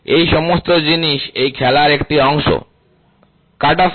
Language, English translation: Bengali, All these things are part of the game what is cutoff